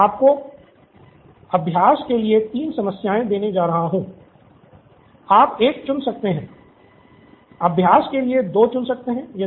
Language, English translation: Hindi, I am going to give you 3 problems, you can pick one, pick 2 for practice